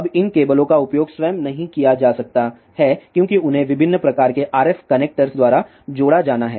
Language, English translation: Hindi, Now, these cables cannot be used by itself they have to be connected by different types of RF connectors